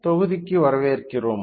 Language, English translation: Tamil, Welcome to the module